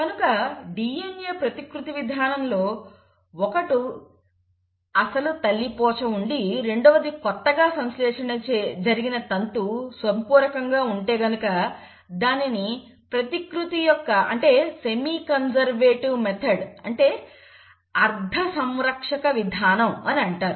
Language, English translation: Telugu, So such mode of DNA replication, where it still has the original parental strand, one of it and one of this is newly synthesised because of complementarity is called as semi conservative mode of replication